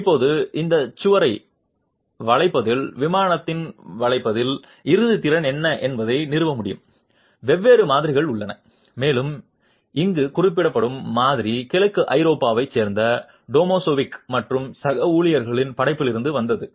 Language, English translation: Tamil, Now, to be able to establish what is the ultimate capacity in bending, in plain bending of this wall, there are different models available and the model that is being referred to here is from work of Tomazevich and colleagues from Eastern Europe